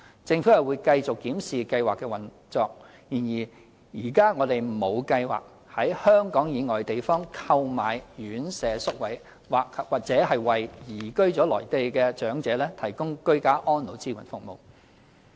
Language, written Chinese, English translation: Cantonese, 政府會繼續檢視計劃的運作，然而，現時我們沒有計劃在香港以外地方購買院舍宿位或為移居內地的長者提供居家安老支援服務。, The Government will continue to review the operation of the Pilot Scheme but at present we have no plan to purchase residential care places from places outside Hong Kong or to provide support services for ageing in place